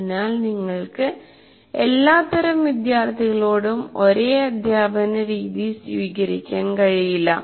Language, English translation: Malayalam, So you cannot take the same instructional approach to different, to all types of students